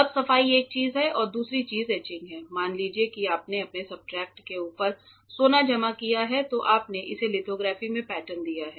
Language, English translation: Hindi, Now, cleaning is one thing another thing is etching, etching in the sense suppose you deposited gold on top of your substrate then you have patterned it in lithography